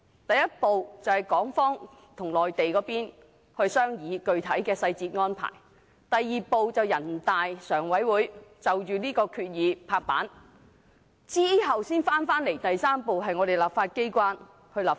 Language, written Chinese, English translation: Cantonese, 第一步是由港方與內地商議具體細節安排；第二步是全國人民代表大會常務委員會批准相關合作方案；然後第三步才返回立法機關立法。, Step one is that Hong Kong and the Mainland will discuss specific details of the arrangement; step two involves the Standing Committee of the National Peoples Congress NPCSC approving the cooperation arrangement; and step three is that it will then come back to the legislature for local legislation